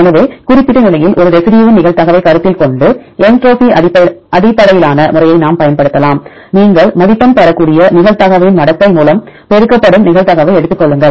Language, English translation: Tamil, So, either we can use entropy based method considering the probability of a residue at the particular position, take the probability multiplied with logarithmic of probability you can get score